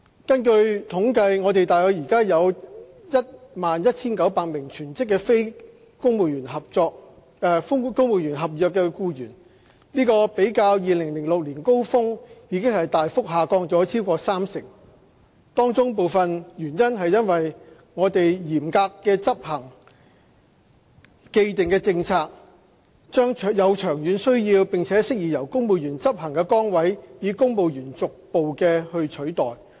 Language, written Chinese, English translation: Cantonese, 根據統計，我們現時大約有 11,900 名全職非公務員合約僱員，較2006年高峰已大幅下降超過三成，當中部分原因是我們嚴格執行既定政策，將有長遠需要並適宜由公務員執行的崗位，以公務員逐步取代。, According to statistics currently we have approximately 11 900 full - time non - civil service contract staff which has substantially decreased by more than 30 % when compared with that in the peak of 2006 . Part of the reason is that we strictly execute the established policy of gradually deploying civil servants to take up duties which should more appropriately be performed by civil servants on a long - term basis